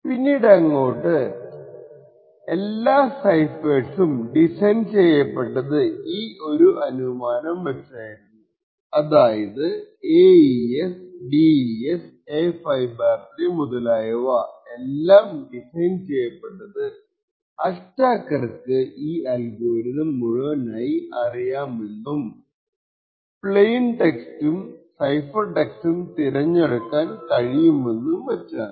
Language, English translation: Malayalam, Now all ciphers that we use today in practice are designed with this assumption so ciphers such as the AES, RSA, A5/3 and so on are designed with the assumption that the attacker knows the complete algorithm for encryption, decryption and can choose plain text and cipher text and the only secret is the secret key